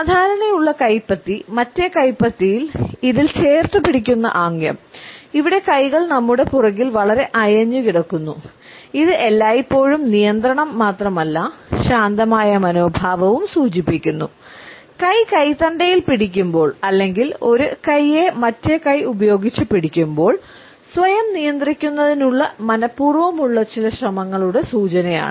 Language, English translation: Malayalam, A routine palm in palm gesture where hands are very loosely held behind our back, which is always an indication of not only control, but also of a relaxed attitude, the hand gripping wrist or the hand gripping arm is an indication of certain deliberate attempt at self control